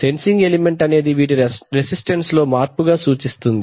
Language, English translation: Telugu, So maybe the sensing element will convert this to a resistance change